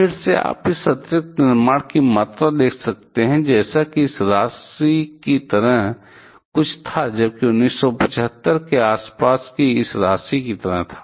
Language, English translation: Hindi, Again, you can see the volume of this additional construction like it was something like this amount here, whereas around 1975 it was like this amount